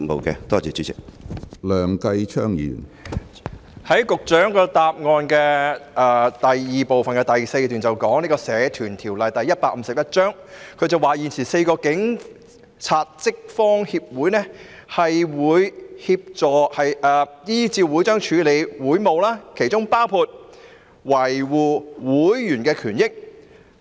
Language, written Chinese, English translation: Cantonese, 局長在主體答覆中的第一及二部分第四段提到，"現時4個警察職方協會是根據《社團條例》註冊的社團，依照會章處理協會事務，當中包括維護會員權益"。, The Secretary mentioned in paragraph 4 of parts 1 and 2 of the main reply that [a]t present the four police staff associations are registered societies under the Societies Ordinance Cap